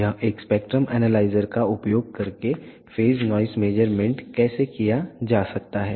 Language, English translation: Hindi, This is how the phase noise measurements can be done using a spectrum analyzer